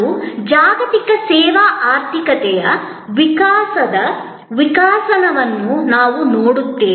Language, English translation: Kannada, And we will look at the evolve evolution of the global service economy